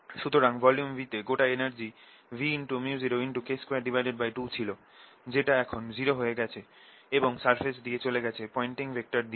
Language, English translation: Bengali, so total energy in volume v was equal to v k square by two, which has now dissipated and gone out through the surface through pointing vector